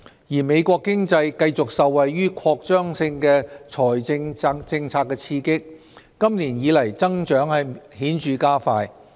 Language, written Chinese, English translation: Cantonese, 而美國經濟繼續受惠於擴張性財政政策的刺激，今年以來增長顯著加快。, The American economy which continues to be stimulated by the expansionary fiscal policy has grown visibly faster this year